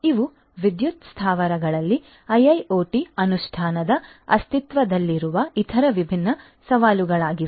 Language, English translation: Kannada, So, these are some of these different other existing challenges of IIoT implementation in the power plants